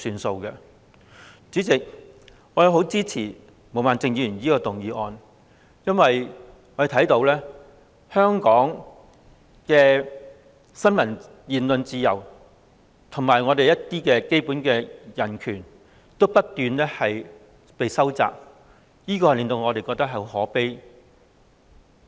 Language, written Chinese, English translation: Cantonese, 代理主席，我十分支持毛孟靜議員這項議案，因為香港的新聞和言論自由，以及我們的基本人權均不斷被收窄，我們對此感到很可悲。, Deputy President I strongly support this motion moved by Ms Claudia MO because Hong Kongs freedom of the press and freedom of speech and our basic human rights have been restrained continuously and we feel very sad about it